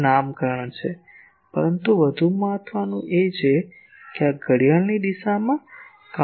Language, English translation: Gujarati, These are nomenclature, but the more important is this clockwise, counter clockwise